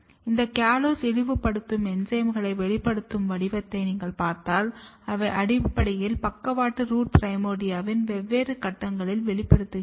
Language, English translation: Tamil, And if you look the expression pattern of this callose degrading enzymes, they are basically expressed at the different stages of lateral root primordia